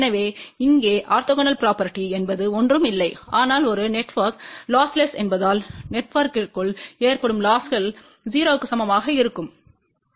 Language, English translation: Tamil, So, over here orthogonal property is nothing but since a network is losses within the network will be equal to 0